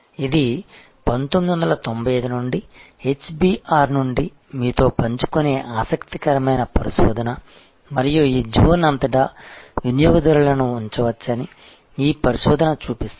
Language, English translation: Telugu, This is an interesting research that I again share with you from 1995 which is from HBR and this research shows that the customers can be put across this zone